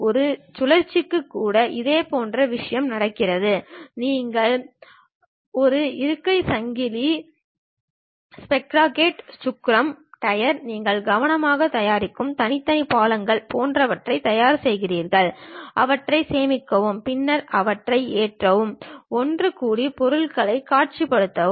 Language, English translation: Tamil, Similar thing happens even for cycle, you prepare something like a seat, chain, sprocket, wheel, tire, individual parts you carefully prepare it, save them, then load them, assemble them and visualize the objects